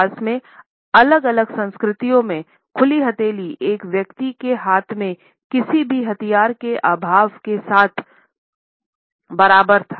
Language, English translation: Hindi, Over the course of history in different cultures, open palms were equated with the absence of any weapon which a person might be carrying in his hands